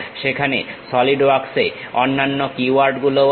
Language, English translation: Bengali, There are other keywords also involved in Solidworks